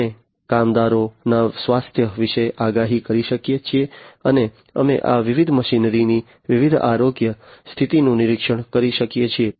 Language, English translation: Gujarati, We can have predictions about workers’ health, (workers’ health), and also we can do monitoring of the different the health condition of these different machinery